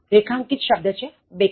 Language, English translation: Gujarati, Underlined words back side